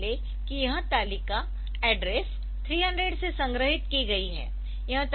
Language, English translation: Hindi, So, assume that this table is the stored from address 300